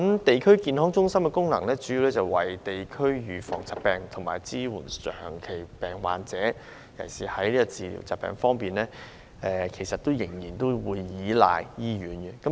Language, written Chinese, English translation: Cantonese, 地區康健中心的主要功能，是為社區預防疾病及支援長期病患者，在治療疾病方面則仍然需要倚賴醫院。, The main function of a District Health Centre is to prevent diseases and support chronic disease patients in the community . For treatment of diseases it is still necessary to rely on hospitals